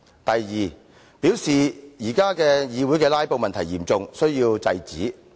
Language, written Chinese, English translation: Cantonese, 第二，他表示現時議會的"拉布"問題嚴重，必須制止。, Second he said the current problem of filibustering in the legislature is serious and must be stopped